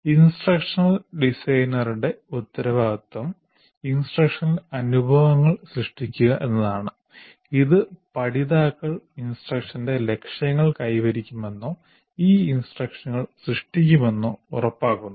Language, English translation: Malayalam, And the responsibility of the instructional designer is to create instructional experiences which ensure that the learners will achieve the goals of instruction or what you may call as E3, create E3 instruction